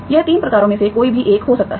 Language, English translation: Hindi, That can be any one of the 3 types